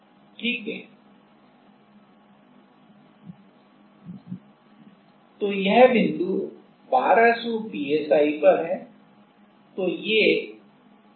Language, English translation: Hindi, So, this point, this point is this is 1200